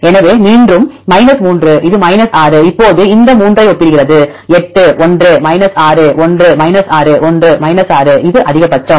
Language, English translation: Tamil, So, again it is 3 this will 6 now compare this 3 one is 8 one is 6 one is 6 which one is maximum